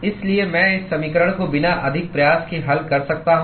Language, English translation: Hindi, So, I can solve this equation without much effort